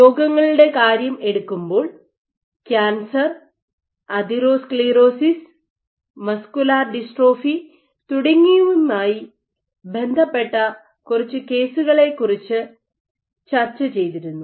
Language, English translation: Malayalam, In disease, we discussed about few cases related to cancer atherosclerosis and muscular dystrophy